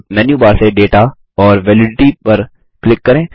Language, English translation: Hindi, Now, from the Menu bar, click Data and Validity